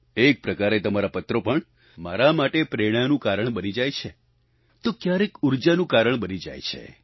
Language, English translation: Gujarati, One way, a letter from you can act as a source of inspiration for me; on the other it may turn out to be a source of energy for me